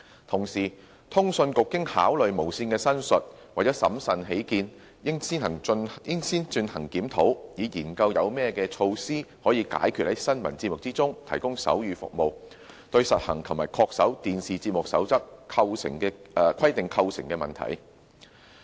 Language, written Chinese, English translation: Cantonese, 同時，通訊局經考慮無綫的申述，為審慎起見，認為應先進行檢討，以研究有何措施，可解決在新聞節目提供手語服務，對實行及恪守《電視節目守則》規定構成的問題。, Meanwhile after considering the representation of TVB CA considers that it is prudent to conduct a review first so as to explore what measures can be implemented to resolve issues relating to the implementation of and compliance with the TV Programme Code in the provision of sign language service in news programmes